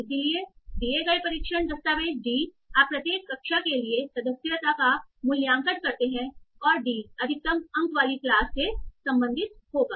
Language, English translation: Hindi, So given task document D, you have valid its membership for each of the classes and D will belong to the class with the maximum score